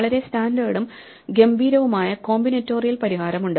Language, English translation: Malayalam, There is a very standard and elegant combinatorial solution